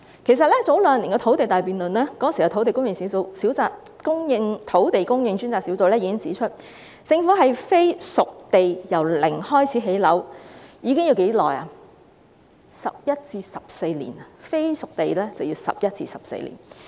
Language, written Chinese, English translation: Cantonese, 其實在兩年前的"土地大辯論"中，當時的土地供應專責小組已指出，政府使用"非熟地"由零開始興建房屋，需時11年至14年。, As a result the target could not be achieved . Actually during the big debate on land supply two years ago the then Task Force on Land Supply already pointed out that it would take 11 to 14 years if the Government used a non - spade - ready site for housing production from scratch